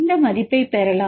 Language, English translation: Tamil, So, you will get the values